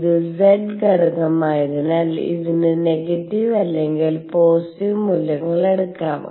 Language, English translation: Malayalam, And since this is z component it could take negative or positive values both